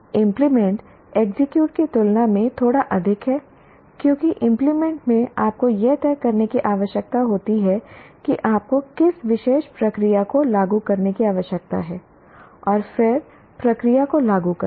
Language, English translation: Hindi, And implement is slightly higher level than execute because in implement you are required to make a decision which particular procedure you need to apply and then apply the procedure